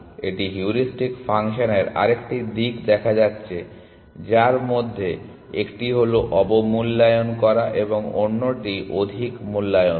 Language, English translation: Bengali, This is looking at another aspect of heuristic functions which is one of them is underestimating and the other one is overestimating